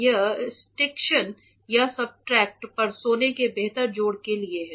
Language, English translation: Hindi, It is for sticktion or a better addition of the gold onto the substrate